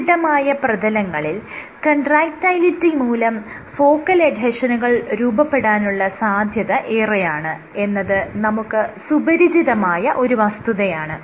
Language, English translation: Malayalam, Now you know that on a stiffer surface contractility leads to focal adhesion formation